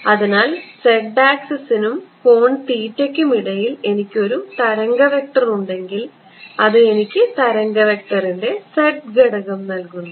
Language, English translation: Malayalam, So, if I have a wave vector between angle theta with the z axis, giving me the z component of the wave vector right